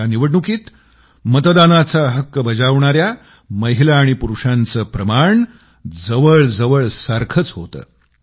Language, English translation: Marathi, This time the ratio of men & women who voted was almost the same